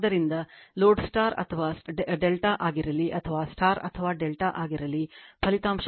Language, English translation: Kannada, So, the results is true whether the load is a star or delta whether star or delta, this this 3 V p I p cos theta is true right